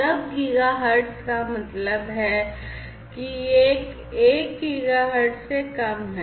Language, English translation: Hindi, Sub giga hertz means that it is less than 1 gigahertz